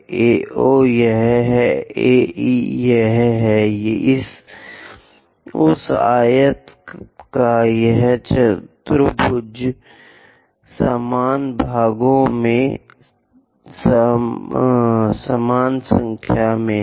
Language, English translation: Hindi, AO is this one; AE is this one, this quadrant of that rectangle into same number of equal parts let us say 5